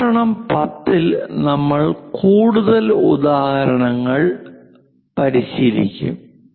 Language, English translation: Malayalam, In lecture 10, we will practice more examples